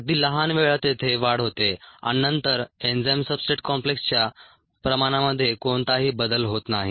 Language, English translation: Marathi, at very small times there is an increase and then there is no change in the concentration of the enzyme substrate complex